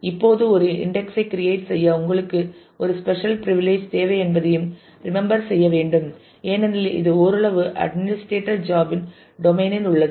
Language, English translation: Tamil, Now, you should also remember that you need a special privilege to create an index because this is partly in the domain of the administrator’s job